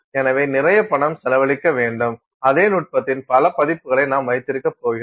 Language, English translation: Tamil, So, you are going to spend a lot of money and you are going to keep on having multiple versions of the same technique